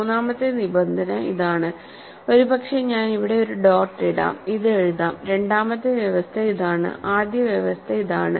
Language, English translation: Malayalam, So, the third condition is this, I will write it as maybe I will just put a dot here, second condition is this, first condition is this